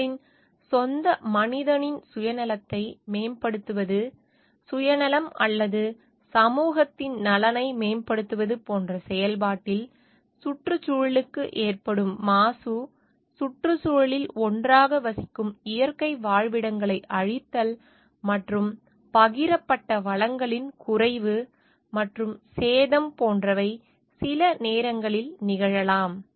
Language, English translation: Tamil, In the process of like promoting their self interest of the own human, self interest or in an in the way of doing that promoting the interest of the society at large; sometimes may happen like there is a pollution caused to the environment, destruction of natural habitats residing together in the environment, and depletion and damage of shared resources